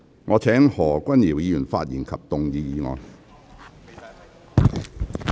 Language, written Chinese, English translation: Cantonese, 我請何君堯議員發言及動議議案。, I call upon Dr Junius HO to speak and move the motion